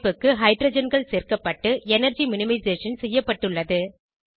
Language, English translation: Tamil, Hydrogens are added to the structure and the energy minimized